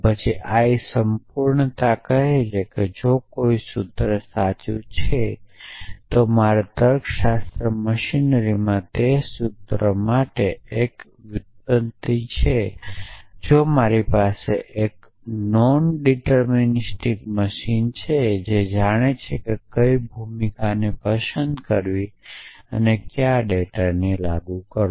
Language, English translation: Gujarati, Then l completeness says that if a formula is true then there is a derivation for that formula in my logic machinery that if I had a non deterministic machine which knew which role to pick and which data to apply to it will produce a derivation essentially